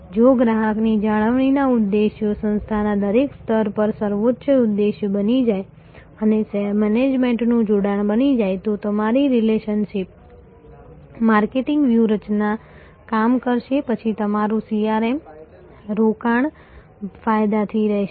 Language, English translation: Gujarati, If the objectives of customer retention becomes a supreme objective across every level of organization becomes a top a management obsession, then your relationship marketing strategy will work, then your CRM investment will be fruitful